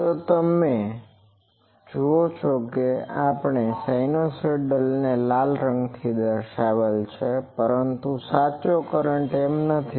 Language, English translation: Gujarati, So, you see that we have plotted the sinusoidal one by the red color, but actual current is not exactly